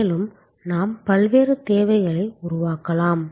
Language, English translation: Tamil, And what we can create different buckets of demand